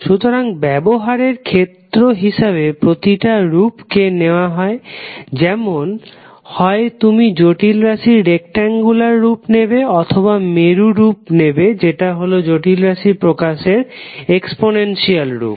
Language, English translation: Bengali, That is either you will use the rectangular form of the complex number or the polar form that is exponential form of the complex number representation